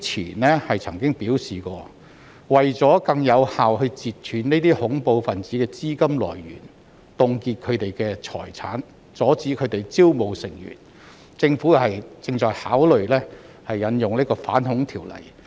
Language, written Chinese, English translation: Cantonese, 局長過去曾經表示，為了更有效地截斷這些恐怖分子的資金來源，凍結他們的財產，並阻止他們招募成員，政府正考慮引用《條例》。, The Secretary said previously that in order to more effectively cut off the funding sources of these terrorists freeze their property and prevent them from recruiting members the Government was considering to invoke UNATMO